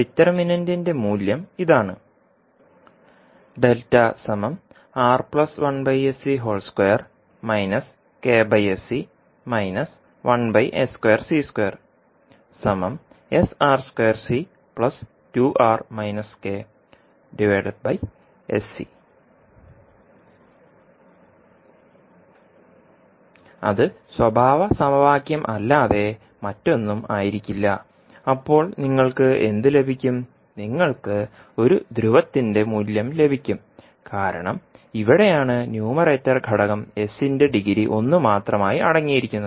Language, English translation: Malayalam, That would be nothing but characteristic equation then what will you get, you will get the value of single pole because here this is the numerator component is only containing the degree of s as 1